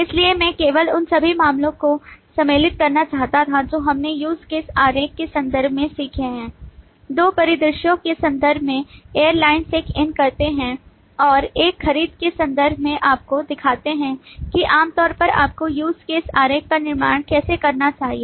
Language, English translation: Hindi, So I just wanted to consolidate all that we have learned in terms of the use case diagram in terms of two scenarios airlines check in and in terms of a purchase check out to show you how typically you should be building the use case diagram for the system that you would want to represent